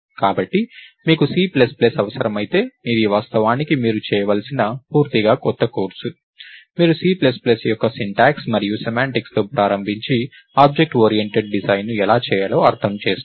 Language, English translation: Telugu, So, if you need C plus plus, this is actually a completely new course that you have to do, where you start with the syntax and semantics of C plus plus and also, understand how to do object oriented design